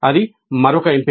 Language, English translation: Telugu, That is also possible